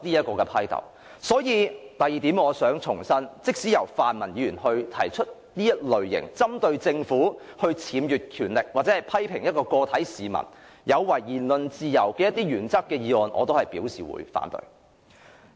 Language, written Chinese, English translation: Cantonese, 故此，我想強調的第二點是，對於即使由泛民議員提出此類針對政府僭越權力，或批評個別市民有違言論自由的議案，我也會表示反對。, Therefore the second point I would like to stress is that I would oppose even motions of such kind proposed by pan - democrats on the Government misusing its power or criticizing individual citizens for impinging on the freedom of speech